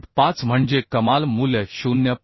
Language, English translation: Marathi, 5 that means the maximum value is 0